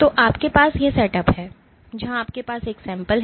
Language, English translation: Hindi, So, you have this set up where you have a sample